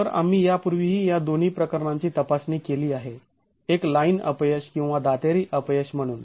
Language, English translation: Marathi, So we've been examining these two cases earlier as well as a line failure or the tooth failure